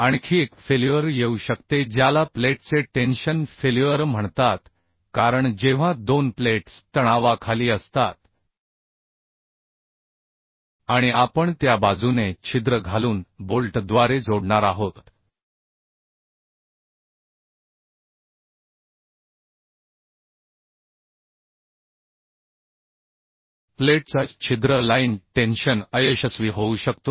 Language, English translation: Marathi, Another failure may come which is called tension failure of plate, because when two plates are under tension and we are going to join through bolt by insertion of hole, then along that hole line tension failure of plate may happen